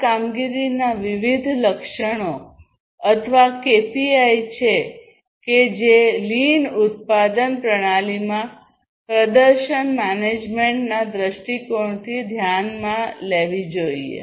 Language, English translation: Gujarati, So, these are the different performance attributes or the KPIs that have to be considered from a performance management viewpoint, in the lean production system